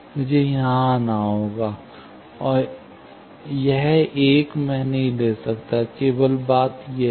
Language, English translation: Hindi, I will have to come here, and this one, I cannot take; only thing is this